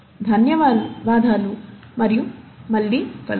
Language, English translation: Telugu, Thank you and see you later